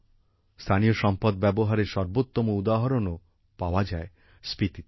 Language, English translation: Bengali, The best example of utilization of local resources is also found in Spiti